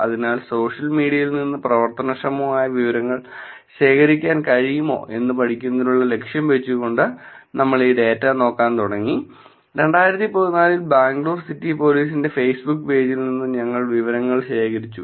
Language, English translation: Malayalam, So, keeping the goal for studying whether we can actually collect actionable information from social media we started looking at this data, we collected the data from the Facebook page of Bangalore City Police in 2014